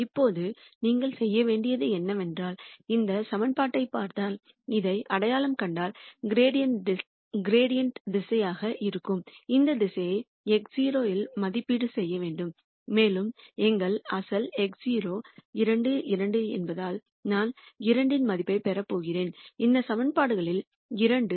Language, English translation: Tamil, Now, what you need to do is, once you identify this if you look at this equa tion this direction which is a gradient direction has to be evaluated at x naught and since our original x naught is 2 2, I am going to substitute the value of 2 2 into these equations